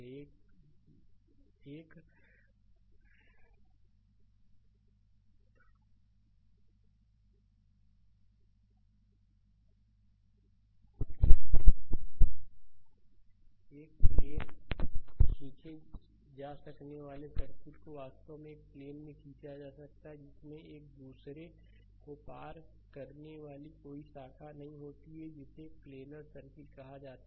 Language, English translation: Hindi, The circuit that can be draw in a plane actually that can be drawn in a plane actually with no branches crossing one another is called planar circuit right